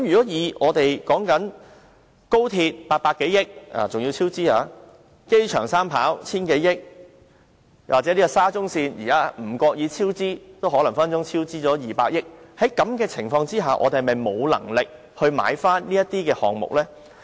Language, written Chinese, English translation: Cantonese, 以我們興建高鐵需800多億元，而且更出現超支；興建機場三跑需 1,000 多億元；又或興建沙中線的超支隨時也高達200億元的情況下，我們是否沒有能力購回這些項目呢？, Judging from our commitment of over 80 billion to the development of the Express Rail Link and what is more the cost overrun incurred and that of over 100 billion for developing the third runway at the airport or a cost overrun of as much as 20 billion that may likely be incurred by the development of the Shatin to Central Link do we really not have the means to buy back these facilities?